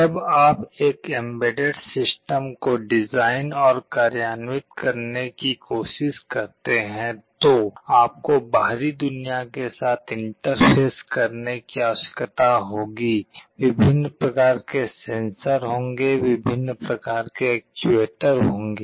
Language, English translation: Hindi, When you are trying to design and implement an embedded system, you need to interface with the outside world; there will be various kinds of sensors, there will be various kinds of actuators